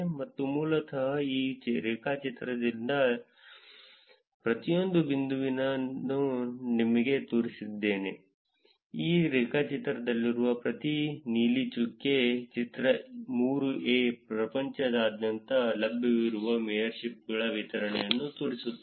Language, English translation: Kannada, This is basically showing you every dot in this graph, every blue dot in this graph, figure 3 shows you the distribution of the mayorships that are available around the world, that were done around the world